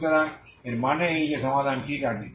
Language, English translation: Bengali, So that means this is the solution, okay